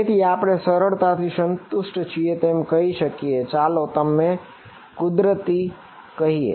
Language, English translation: Gujarati, So, we can say that easily satisfy let us call them natural